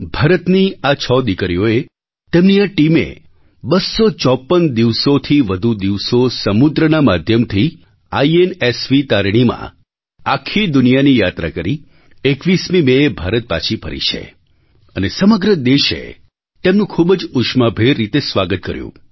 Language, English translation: Gujarati, These six illustrious daughters of India circumnavigated the globe for over more than 250 days on board the INSV Tarini, returning home on the 21st of May